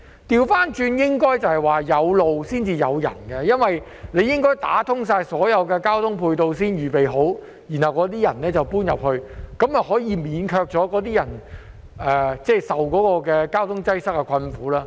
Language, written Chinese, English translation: Cantonese, 相反，應該是"有路才有人"，因為政府應該打通所有交通配套，先預備好，然後才讓市民遷入，這樣便可免卻居民承受交通擠塞之苦。, On the contrary roads should be constructed before there are people because the Government should build all ancillary transport facilities and make preparations before allowing people to move in so that residents will not have to suffer from traffic congestion